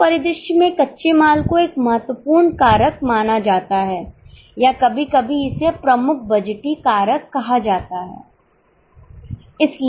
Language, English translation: Hindi, In such a scenario, raw material is considered as a key factor or sometimes it's called as a principal budgetary factor